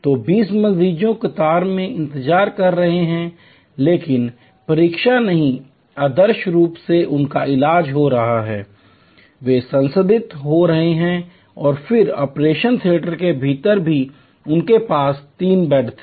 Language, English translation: Hindi, So, 20 patients are in the queue waiting, but not waiting ideally they are getting treated, they are getting processed and then, even within the operation theater they had 3 beds